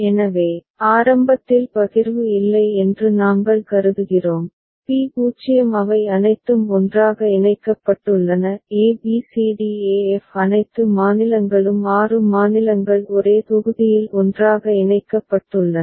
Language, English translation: Tamil, So, initially we consider there is no partition, P0 all of them are put together; a b c d e f all the states six states are put together in one block